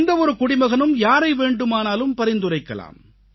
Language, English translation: Tamil, Now any citizen can nominate any person in our country